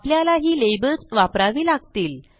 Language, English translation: Marathi, You need to use the labels